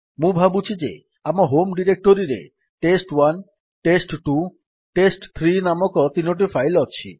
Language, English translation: Odia, We assume that we have three files named test1, test2, test3 in our home directory